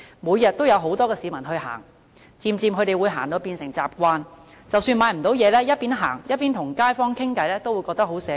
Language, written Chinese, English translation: Cantonese, 每天都有很多市民前往這些墟市閒逛，漸漸就會變成習慣，即使沒有購物，邊閒逛邊與街坊閒聊都會覺得很寫意。, Every day many people take a cozy stroll at these bazaars gradually getting into a habit . Even without making any purchases it is enjoyable for them to chat with fellow residents during the stroll